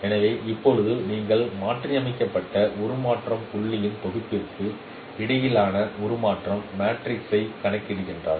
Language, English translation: Tamil, So now you compute the estimate the transformation matrix between these transformed set of transform points